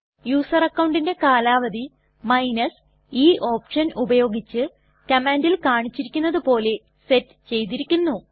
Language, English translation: Malayalam, The user account expiry date is set as mentioned in the command here with the help of the option e